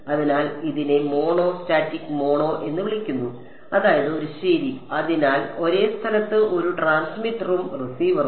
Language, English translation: Malayalam, So, this is called a mono static mono means just one right; so, one transmitter and receiver at the same location